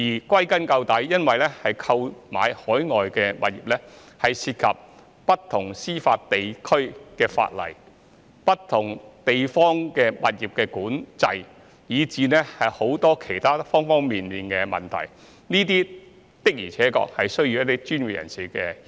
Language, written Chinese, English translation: Cantonese, 歸根究底，購買海外物業涉及不同司法地區的法例、物業管制，以至其他各方面的問題，這些的確需要專業人士協助。, In the final analysis the purchase of overseas properties involves the legislation regulation on property and even various other issues in different jurisdictions which indeed require the assistance of professionals